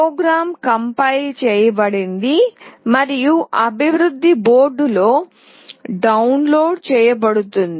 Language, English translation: Telugu, The program is compiled and downloaded onto the development boards